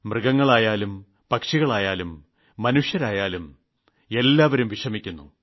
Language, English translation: Malayalam, Be it animals, birds or humans…everyone is suffering